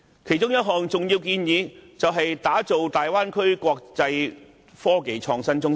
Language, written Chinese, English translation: Cantonese, 其中一項重要建議，是打造大灣區成為國際科技創新中心。, One of the key recommendations is to develop the Bay Area into an international IT hub